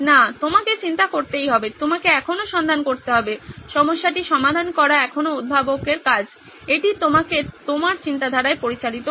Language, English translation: Bengali, No, you shall have to do the thinking, you still have to do the finding, it still the inventor’s job to solve the problem, this guides you in your thinking